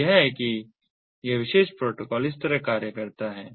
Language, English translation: Hindi, so this is how this particular protocol functions